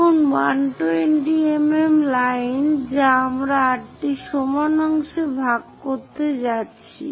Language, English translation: Bengali, Now, line 120 mm that we are going to divide into 8 equal parts